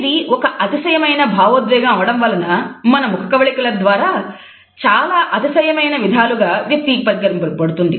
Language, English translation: Telugu, As it is an exaggerated emotion, we find that there are many ways in which it is expressed in an exaggerated manner by our facial features